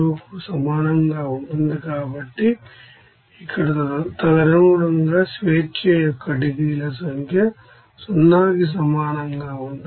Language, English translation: Telugu, So, here accordingly that number of degrees of freedom will be equals to 0